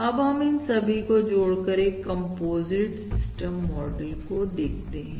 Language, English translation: Hindi, Now we can concatenate all this and that the composite system model as follows